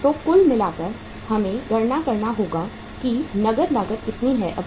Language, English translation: Hindi, So total, we will have to calculate how much is the cash cost now